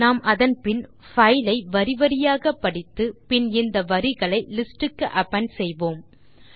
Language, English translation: Tamil, Let us then read the file line by line and then append each of the lines to the list